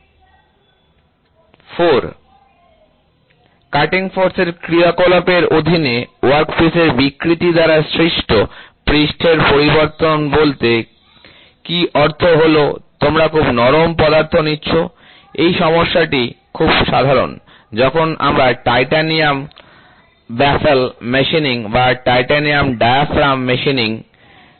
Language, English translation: Bengali, The surface variation caused by the deformations of the workpiece under the action of cutting forces that means, to say you are taking a very soft material, this problem is very common when we do titanium baffle machining or titanium diaphragm machining